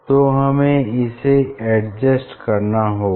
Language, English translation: Hindi, that one has to adjust